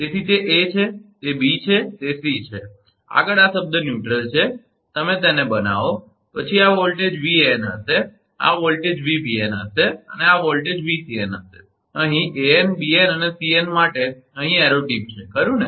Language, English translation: Gujarati, So, it is a, it is b, it is c, next is this term neutral you make it, then this voltage will be Van, this voltage will be Vbn and this voltage will be Vcn, arrow tip is here for an bn and cn here right